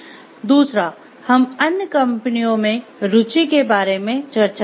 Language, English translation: Hindi, And second we will be discussing about interest in other companies